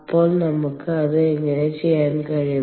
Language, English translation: Malayalam, so how are we going to do that